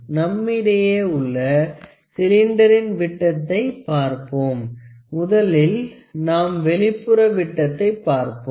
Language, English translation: Tamil, So, let us try to see the dia of the cylinder that we have, let us first try to see the external dia